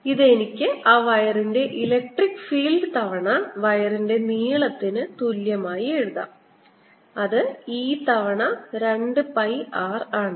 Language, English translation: Malayalam, this could also write as electric field on that wire times length of the wire, which is e times two pi r